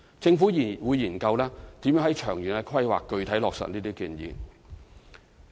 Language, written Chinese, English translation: Cantonese, 政府會研究如何在長遠的規劃具體落實這些建議。, The Government will see how to duly implement these recommendations in the long - term planning